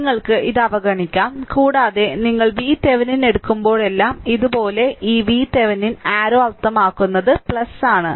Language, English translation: Malayalam, So, you can ignore this and whenever we take V Thevenin your like this; that means, that means this is your V Thevenin arrow means I told you plus